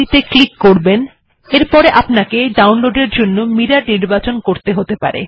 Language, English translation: Bengali, Click this, you may need to choose a mirror for download